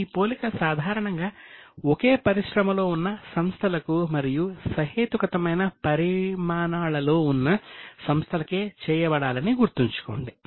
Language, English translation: Telugu, Keep in mind that this comparison should normally be made with the same industry and with reasonably similar sizes